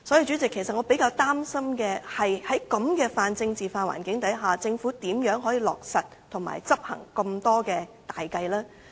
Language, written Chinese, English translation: Cantonese, 主席，其實我比較擔心在這種泛政治化環境下，政府如何落實及執行這麼多項大計？, President I am actually rather worried about how the Government can implement so many great plans in this pan - political environment